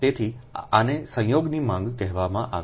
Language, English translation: Gujarati, right, so this is called coincident demand